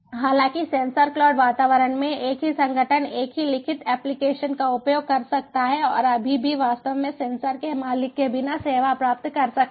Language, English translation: Hindi, however, in a sensor cloud environment, the same organization can use the same written application and still get the service without actually owning the sensors